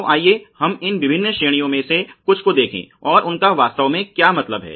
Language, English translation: Hindi, So, let us look at some of these different categories and what they really mean